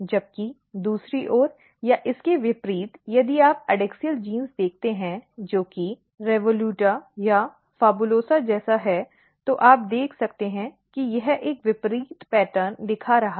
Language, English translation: Hindi, Whereas, on the other hand or in contrast to this if you look the adaxial genes, which is like REVOLUTA or PHABULOSA you can see it is showing a very opposite pattern